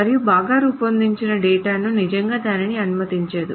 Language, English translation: Telugu, And database, I mean, a well designed database does not really allow that